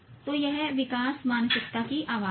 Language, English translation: Hindi, So that is the growth mindset voice